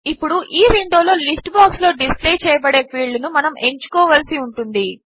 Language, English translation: Telugu, Now, in this window, we need to choose the field that will be displayed in the List box